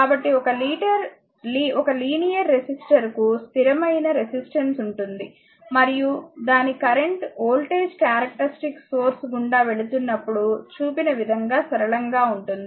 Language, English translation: Telugu, So, a linear resistor has a constant resistance, and its current voltage characteristic is linear right as shown in passing through the origin